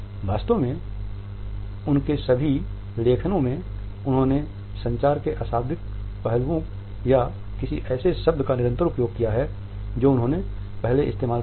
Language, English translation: Hindi, In fact, in all their writings they have used consistently nonverbal aspects of communication or any of the terms which they had used earlier